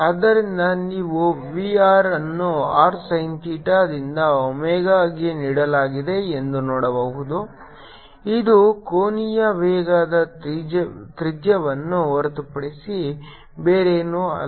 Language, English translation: Kannada, r is is given by r sin theta in to omega ah, which is nothing but the radius in to the angular velocity